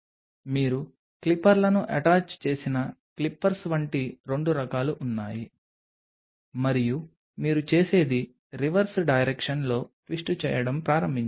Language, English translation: Telugu, There are 2 kinds of like clippers you attach the clippers and then what you do is start to twist it in reverse direction